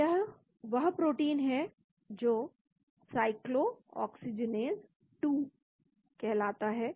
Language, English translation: Hindi, so this is the protein called the cyclooxygenase 2